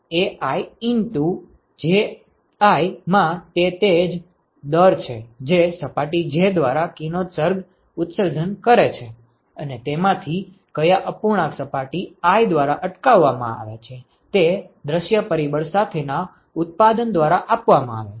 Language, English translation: Gujarati, So, this Aj into Jj that is the rate at which the radiation is emitted by surface j and what fraction of that is intercepted by surface i is given by product of that with the view factor ok